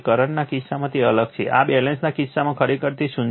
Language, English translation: Gujarati, In the case of current, it is different in this case the balance is actually zero right